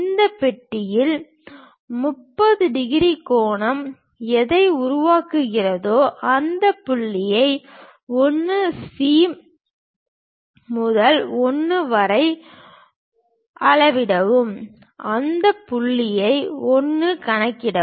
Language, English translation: Tamil, On this box, the 30 degrees angle whatever it is making, measure this point 1 C to 1 and locate that point 1